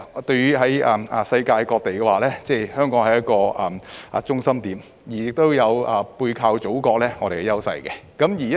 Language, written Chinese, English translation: Cantonese, 對於世界各地而言，香港是中心點，同時亦有背靠祖國的優勢。, To the rest of the world Hong Kong is the central point which at the same time leverages on the advantage of our close ties with the Motherland